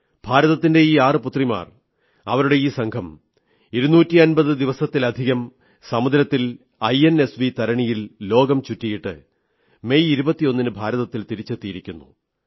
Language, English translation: Malayalam, These six illustrious daughters of India circumnavigated the globe for over more than 250 days on board the INSV Tarini, returning home on the 21st of May